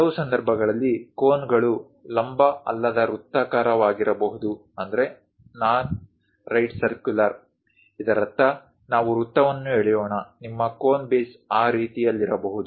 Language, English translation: Kannada, In certain cases cones might be non right circular; that means let us draw a circle, your cone base might be in that way